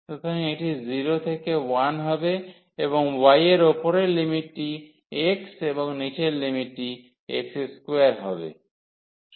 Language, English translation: Bengali, So, this will be 0 to 1 and y the upper limit is x and the lower limit is x square